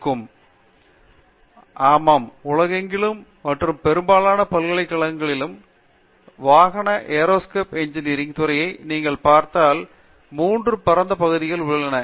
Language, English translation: Tamil, Yeah, broadly across the world and most universities, if you look at vehicle Aerospace Engineering Department, there are 3 broad areas